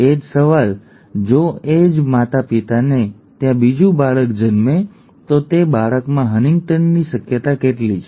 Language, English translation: Gujarati, Same question if another child is born to the same parents what is the probability for HuntingtonÕs in that child, okay